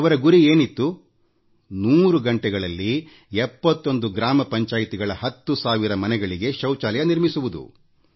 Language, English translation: Kannada, To construct 10,000 household toilets in 71 gram panchayats in those hundred hours